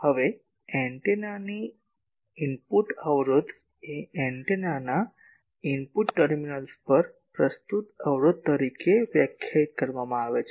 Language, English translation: Gujarati, Now, input impedance of an antenna is defined as the impedance that is presented at the input terminals of an antenna